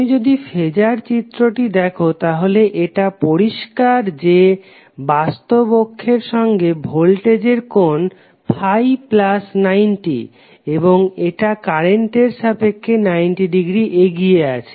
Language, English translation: Bengali, So if you see the phasor diagram it is clear that voltage is having 90 plus Phi with respect to real axis and it is having 90 degree leading with respect to current